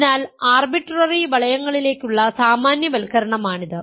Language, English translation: Malayalam, So, this is the generalization of that to arbitrary rings